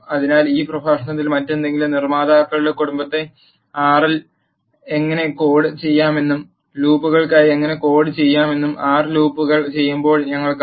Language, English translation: Malayalam, So, in this lecture we have seen how the if else family of constructs can be coded in R and how to code for loops and while loops in R